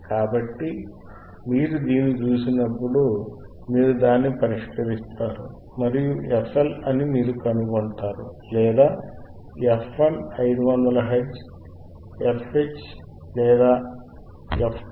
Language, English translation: Telugu, So, when you see this, you solve it and you will find that f HL or f 1 is 500 hertz, fH or f 2 is 1